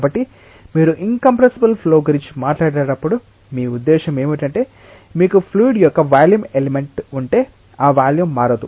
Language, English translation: Telugu, So, when you talk about an incompressible flow, what you mean is that if you have a volume element of a fluid that volume does not change